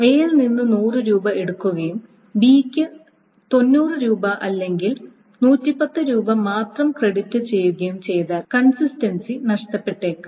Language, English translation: Malayalam, If 100 rupees were taken from A and only 90 rupees or 110 rupees were credited to be, then that the consistency may suffer